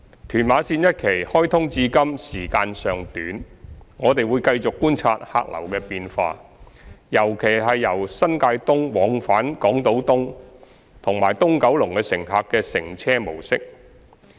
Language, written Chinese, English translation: Cantonese, 屯馬綫一期開通至今時間尚短，我們會繼續觀察客流的變化，尤其由新界東往返港島東及東九龍的乘客的乘車模式。, In view of the short operation period of TML1 since its commissioning we will continue to observe the change of the travelling patterns of passengers in particular the travelling mode of the passengers plying between New Territories East and Hong Kong Island East or East Kowloon